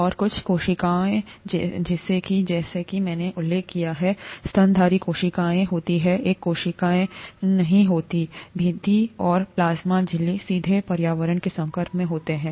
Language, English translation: Hindi, And some cells such as, as I mentioned, the mammalian cells are cells, do not have a cell wall and the plasma membrane is directly exposed to the environment